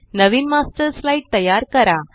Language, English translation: Marathi, Create a new Master Slide